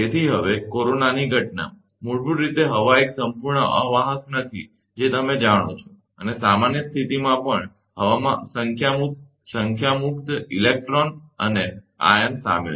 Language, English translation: Gujarati, So now, the phenomenon of corona, basically air is not a perfect insulator that, you know right and even under normal condition, the air contains a number free electrons and ions